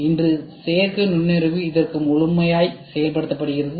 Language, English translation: Tamil, Today, artificial intelligence is exhaustively used for this exhaustively used for this